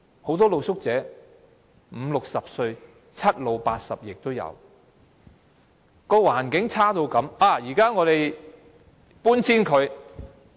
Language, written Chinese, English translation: Cantonese, 很多露宿者五六十歲，七老八十亦都有，居住環境差到這個地步。, Many street sleepers are in their fifties and sixties with some even in their seventies and eighties yet they are living in such a bad environment